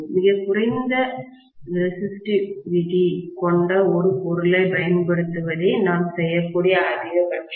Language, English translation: Tamil, The maximum we can do is to use a material which is of very very low resistivity